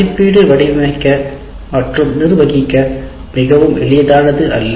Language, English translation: Tamil, So, and assessment is not something very easy to design and manage